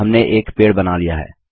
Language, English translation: Hindi, We have drawn a tree